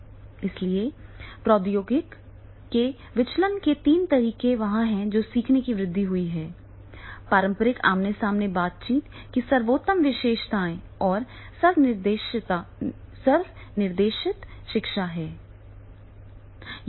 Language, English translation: Hindi, So, therefore three modes of the deliveries are there, technology enhance learning is there, best features of the traditional phase to face interaction is there and the self directed learning is there